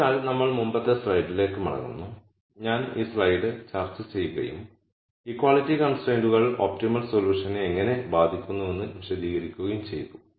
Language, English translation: Malayalam, So, we go back to the previous slide and when I was discussing this slide and explaining how equality constraints affect the optimum solution